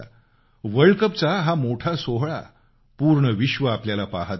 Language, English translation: Marathi, This world cup was a super event where the whole world was watching you